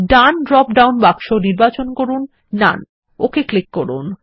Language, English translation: Bengali, In the right drop down box, select none